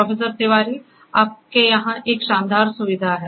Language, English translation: Hindi, So, Professor Tiwari, so you have a wonderful facility over here